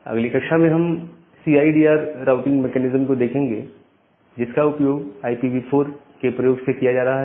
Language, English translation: Hindi, In the next class, we will look into the routing mechanism the CIDR routing mechanism, which is being utilized on by using this IPv4 addressing